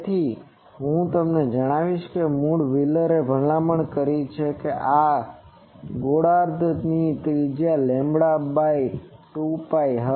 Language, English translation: Gujarati, So, I will now tell you that originally wheeler recommended that the radius of this hemisphere that should be lambda by 2 pi